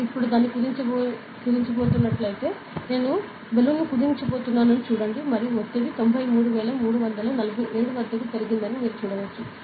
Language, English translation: Telugu, So, if I am going to compress it now, compress the see I am going to compress the balloon and you can see that the pressure has increased 93347